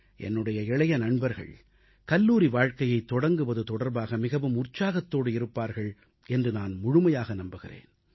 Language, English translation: Tamil, I firmly believe that my young friends must be enthusiastic & happy on the commencement of their college life